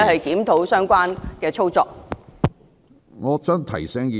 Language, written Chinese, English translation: Cantonese, 檢討相關的操作事宜。, review the relevant operational matters